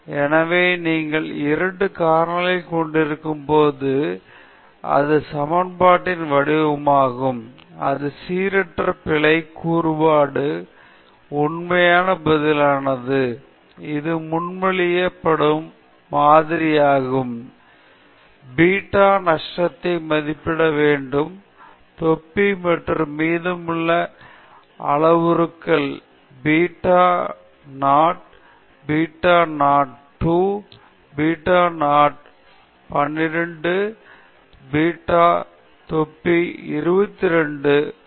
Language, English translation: Tamil, So, when you have 2 factors, this is the form of the equation, the true response involving the random error component and this is the model which is being proposed and you have to estimate the beta naught hat and then the remaining parameters beta hat 1 beta hat 2 beta hat 12 corresponding to the interaction, beta hat 11 and beta hat 22 and the last 2 corresponding to the quadratic terms